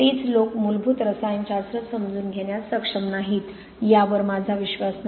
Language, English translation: Marathi, I do not believe those same people are not capable of understanding the basic chemistry